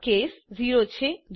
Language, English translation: Gujarati, This is case 0